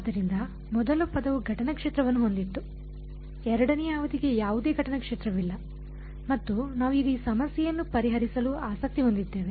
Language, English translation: Kannada, So, the first term had the incident field, the second term had no incident field and we are interested in solving this problem now